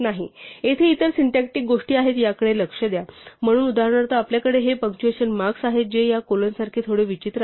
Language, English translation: Marathi, See notice that are other syntactic things here, so there are for example, you have these punctuation marks, which are a bit odd like these colons